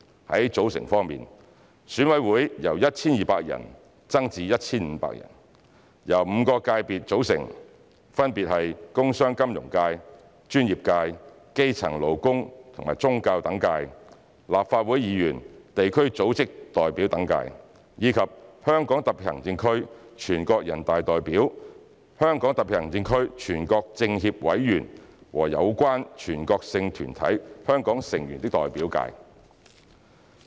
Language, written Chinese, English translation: Cantonese, 在組成方面，選委會由 1,200 人增至 1,500 人，由5個界別組成，分別為"工商、金融界"、"專業界"、"基層、勞工和宗教等界"、"立法會議員、地區組織代表等界"及"香港特別行政區全國人大代表、香港特別行政區全國政協委員和有關全國性團體香港成員的代表界"。, As regards ECs constitution the number of members will be increased from 1 200 to 1 500 . EC will consist of five sectors namely industrial commercial and financial sectors; the professions; grassroots labour religious and other sectors; Members of the Legislative Council representatives of district organisations and other organisations; and HKSAR deputies to NPC HKSAR members of the National Committee of the Chinese Peoples Political Consultative Conference; and representatives of Hong Kong members of relevant national organisations